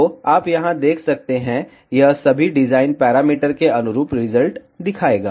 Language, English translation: Hindi, So, you can see here, it will show the results corresponding to all the design parameters